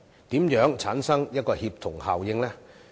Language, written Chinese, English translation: Cantonese, 如何產生協同效應？, How can synergy be achieved?